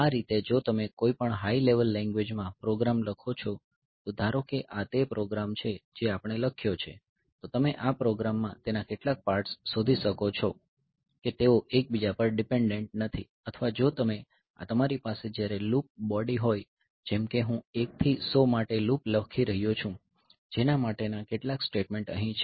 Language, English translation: Gujarati, So, in that way if you write a program in some high level language, suppose this is the this is the program that we have written then you can find out into in this program several parts of the program they are that are not dependent on each other or if you are this is particularly true when you have got a loop body like say I am writing a loop for I equal to 1 to 100 some statements are there